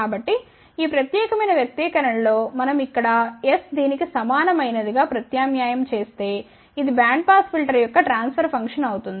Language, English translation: Telugu, So, if we substitute s equal to this here in this particular expression so, s put over here simplify this is what is the transfer function of band pass filter